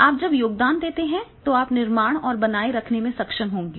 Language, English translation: Hindi, When you are contribute then you are able to build and sustain